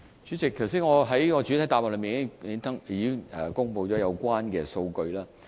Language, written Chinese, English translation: Cantonese, 主席，我剛才在主體答覆已公布了有關數據。, President I have made public the relevant data in the main reply